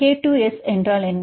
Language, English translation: Tamil, What is K to S